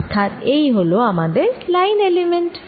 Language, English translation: Bengali, so that is this line element